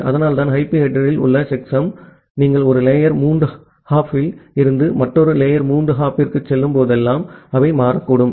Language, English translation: Tamil, So that is why the checksum which is there in the IP header they may get changed whenever you are going from one layer three hop to another layer three hop